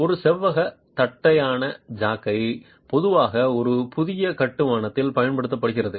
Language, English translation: Tamil, A rectangular flat jack is typically used in a new construction